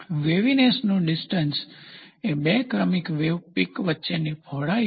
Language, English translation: Gujarati, The spacing of waviness is the width between two successive wave peaks